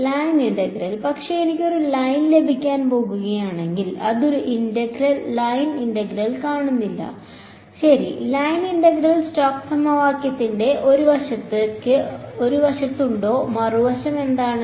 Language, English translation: Malayalam, The line integral, but I do not see a line integral if am going to get a line ok, line integral is there on one side of stokes equation what is the other side